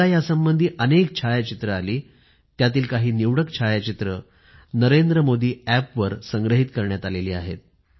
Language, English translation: Marathi, I received a lot of photographs out of which, selected photographs are compiled and uploaded on the NarendraModiApp